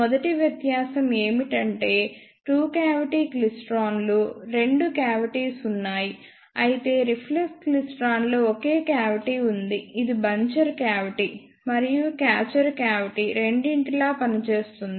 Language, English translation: Telugu, The first difference is that and two cavity klystron there are two cavities, whereas in reflex klystron there is only one cavity which access both buncher cavity and catcher cavity